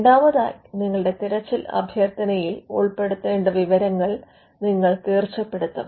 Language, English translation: Malayalam, Secondly, you will stipulate the information that needs to be included in the search request